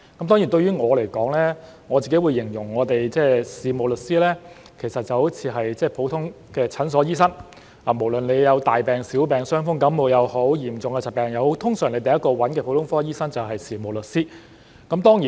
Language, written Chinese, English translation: Cantonese, 當然，對我來說，我會形容事務律師就好像普通的診所醫生，無論大病、小病，傷風感冒也好，嚴重的疾病也好，通常第一個找的就是普通科醫生，這就有如事務律師。, Of course to me I would describe a solicitor as being like a general practitioner in a clinic . Whether it is a major or minor illness a cold or a flu or a serious illness the patient will usually go to a general practitioner first . This is the same case with a solicitor